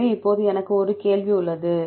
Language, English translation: Tamil, So, now I have a question